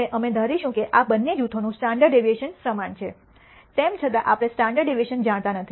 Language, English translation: Gujarati, Now, we will assume that the standard deviation of these two groups is same, although we do not know the standard deviations